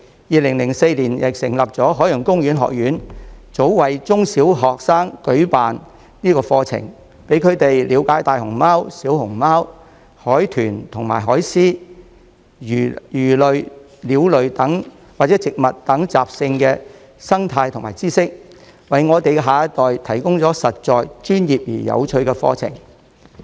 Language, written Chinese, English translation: Cantonese, 2004年成立的香港海洋公園學院早為中、小學生舉辦課程，讓他們了解大熊貓、小熊貓、海豚和海獅、魚類、鳥類或植物等的習性和生態知識，為我們的下一代提供實在、專業而有趣的課程。, The Ocean Park Academy Hong Kong founded in 2004 has long provided courses for primary and secondary school students to learn about the habits of giant pandas red pandas dolphins sea lions fish birds and plants as well as knowledge of the ecology providing practical professional and interesting courses for our next generation